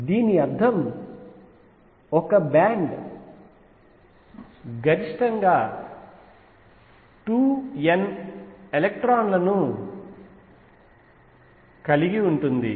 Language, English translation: Telugu, So, this means a band can accommodate maximum 2 n electrons